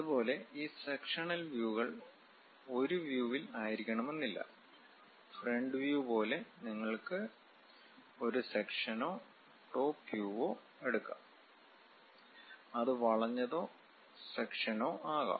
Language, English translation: Malayalam, Similarly, these sectional views may not necessarily to be on one view; like front view you can take section or top view, it can be bent and kind of sections also